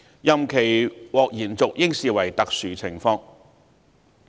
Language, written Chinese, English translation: Cantonese, 任期獲延續應視為特殊情況。, It should be regarded as exceptional